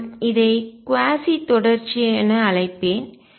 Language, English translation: Tamil, What I will call is quasi continuous